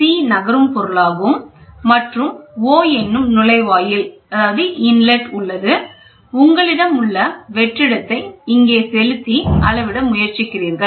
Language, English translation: Tamil, C is the moving resource and here is the opening you have opening O, you have vacuum is applied here, you try to measure